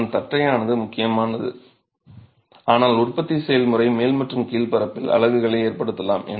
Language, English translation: Tamil, It is important that it is flat but the manufacturing process may result in undulations in the top and the bottom surface